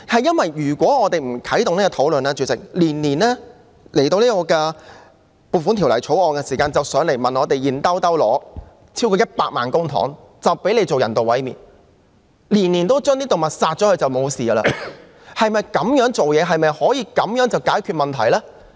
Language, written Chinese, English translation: Cantonese, 主席，如果我們不啟動討論，當局每年透過《撥款條例草案》向立法會申請超過100萬元公帑，讓漁護署進行人道毀滅，每年都把動物殺掉就了事，處事方式是否這樣的呢？, Chairman if we do not initiate a discussion and the Administration just applies to the Legislative Council for more than 1 million through the Appropriation Bill so that AFCD can perform euthanasia on animals every year and consider this to be the end of the matter is this the way of dealing with things?